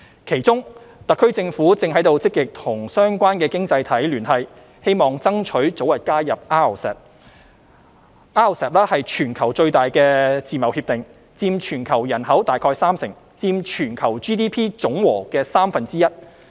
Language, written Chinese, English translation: Cantonese, 其中，特區政府正積極與相關經濟體聯繫，希望爭取早日加入 RCEP。RCEP 是全球最大的自貿協定，佔全球人口大概三成，佔全球 GDP 總和的三分之一。, The Government is actively liaising with relevant economies in the hope of early accession to RCEP the worlds largest free trade agreement covering about 30 % of the global population and one third of the global GDP